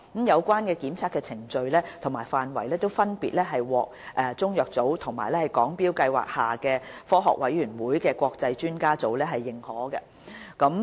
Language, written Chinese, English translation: Cantonese, 有關檢測的程序和範圍分別獲中藥組和香港中藥材標準計劃下科學委員會的國際專家委員會認可。, The procedures and scope of the tests are recognized by both CMB and the international expert group of the Scientific Committee set up under the Hong Kong Chinese Materia Medica Standards research project